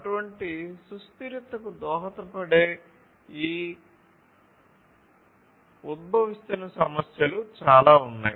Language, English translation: Telugu, So, emerging issues are there; there are many of these emerging issues which contribute to such sustainability